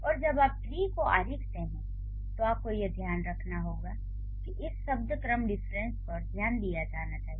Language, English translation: Hindi, And when you draw the tree you need to keep in mind that this word order difference should be paid attention to